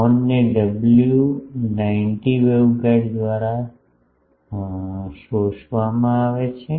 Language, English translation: Gujarati, The horn is fed by a WR 90 waveguide